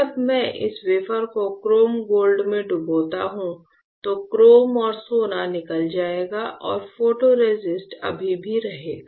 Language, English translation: Hindi, When I dip this wafer in chrome gold etchant the chrome and gold will get etch and the photoresist will be still there